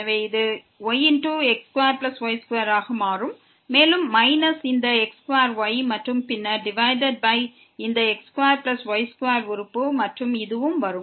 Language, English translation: Tamil, So, this will become into square plus square and minus this square and then, divided by this square plus square term and this will also come